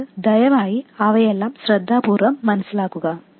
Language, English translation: Malayalam, Please understand all of those things carefully